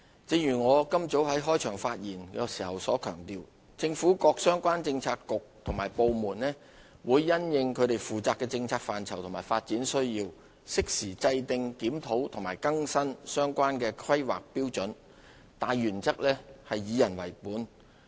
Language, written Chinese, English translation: Cantonese, 正如我今早在開場發言時強調，政府各相關政策局及部門會因應其負責的政策範疇及發展需要，適時制訂、檢討及更新相關的《香港規劃標準與準則》，大原則是"以人為本"。, As I have emphasized this morning in my opening speech the relevant Policy Bureaux and departments will formulate review and update the Hong Kong Planning Standards and Guidelines HKPSG under their purview in a timely manner in accordance with their portfolios and development needs under the guiding principle of people - oriented